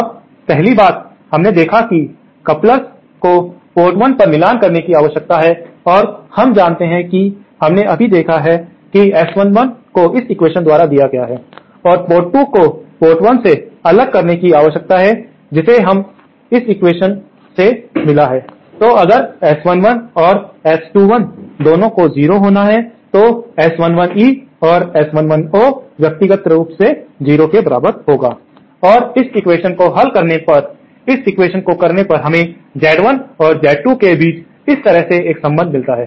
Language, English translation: Hindi, Now, 1st thing, we saw that couplers needs to be matched at port 1 and we know we have just seen that S11 is given by this equation and also port 2 needs to be isolated from port 1 from which we have got this equation, so if both S11 and S21 have to be 0, then S11 E and S 11 O have to be individually equal to 0